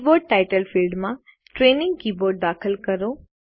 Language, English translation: Gujarati, In the Keyboard Title field, enter Training Keyboard